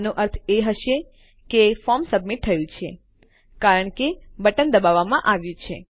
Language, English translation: Gujarati, That would just mean that the form has been submitted because the button has been pressed